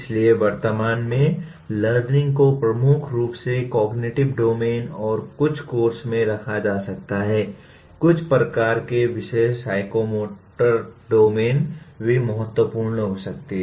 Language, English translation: Hindi, So at present the learning is dominantly is kept at cognitive domain and some courses, some type of topics, psychomotor domain may also become important